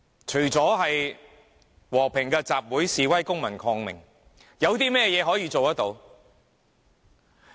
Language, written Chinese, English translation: Cantonese, 除了和平的集會、示威、公民抗命，有甚麼可以做得到？, What can be done apart from peaceful assemblies demonstrations and civil disobedience?